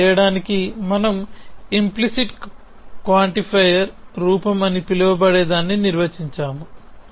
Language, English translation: Telugu, To do that we define something in what is called an implicit quantifier form